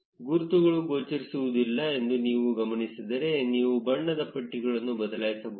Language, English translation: Kannada, If you notice that the labels are not visible, you can change the color pallet